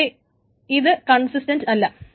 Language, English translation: Malayalam, But they may not be consistent